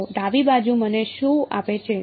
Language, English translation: Gujarati, So, what does the left hand side give me